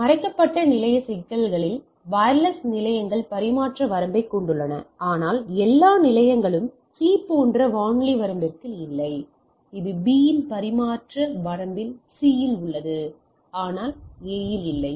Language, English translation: Tamil, So, in hidden station problem wireless stations have transmission range, but not all stations are within the radio range like C that it is in the transmission range of B is in the C, but the A is not there